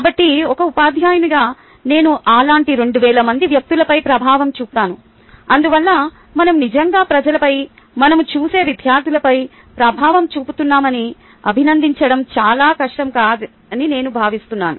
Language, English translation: Telugu, so as a teacher, i get to make impact on two thousand such people and therefore i think it should not be a very difficult for us to appreciate that we indeed make an impact on people, right on students whom we come across